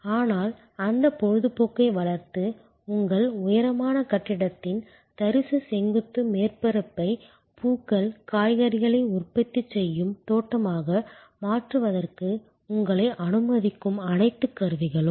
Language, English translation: Tamil, But, all the implements that will allow you to develop that hobby and convert the barren vertical surface of your high rise building in to a garden growing flowers, vegetables for productive consumption